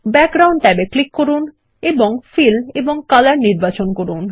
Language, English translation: Bengali, Click the Background tab and under Fill and select Color